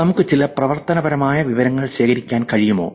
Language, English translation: Malayalam, Is it possible we can collect some actionable information